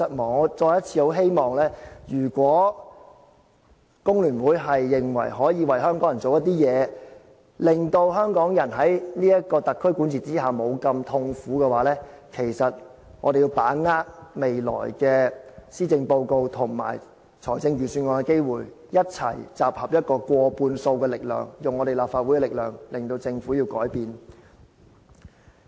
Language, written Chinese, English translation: Cantonese, 我再次希望，如果工聯會認為可以為香港人做點事，令香港人在特區管治之下，沒有這麼痛苦的話，其實我們要把握未來的施政報告和財政預算案的機會，一起集合過半數的力量，用立法會的力量，令政府改變。, Let me once again express the hope that if FTU thinks that it should do something for Hong Kong people to alleviate their suffering under the rule of the Hong Kong SAR Government it should really join us in using the opportunities presented by the upcoming policy address and financial budget so as to form a majority force in the present Legislative Council and compel the Government to make some changes